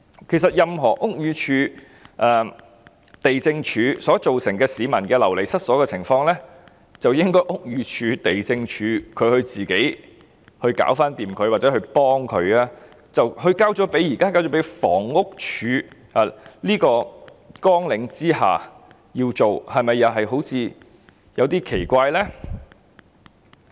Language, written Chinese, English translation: Cantonese, 其實屋宇署和地政總署造成任何市民流離失所的情況，應該交由屋宇署和地政總署自行解決，或只協助他們處理的，但現在卻歸入房屋署的綱領4項下，是否有點奇怪呢？, In fact cases in which any members of the public are made homeless due to actions taken by BD and LandsD should be resolved by BD and LandsD on their own or HD should only assist them in handling such cases . Yet such work is now placed under Programme 4 of HD . Is it somewhat strange?